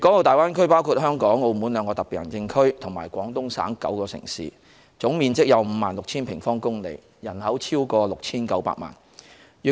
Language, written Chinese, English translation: Cantonese, 大灣區包括香港和澳門兩個特別行政區，以及廣東省9個城市，總面積達 56,000 平方公里，人口逾 6,900 萬。, The Greater Bay Area consists of the two Special Administrative Regions of Hong Kong and Macao and nine Guangdong cities covering a total area of 56 000 sq km with a population size of over 69 million people